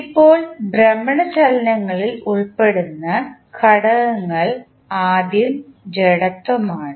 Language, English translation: Malayalam, Now, the elements involved in the rotational motions are first inertia